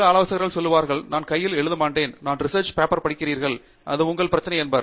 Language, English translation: Tamil, Some advisors will say, I am not going to be hands on, you read the paper, it’s your problem